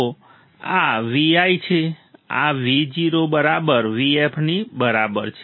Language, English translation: Gujarati, So, this is V I, this is V o equals to V f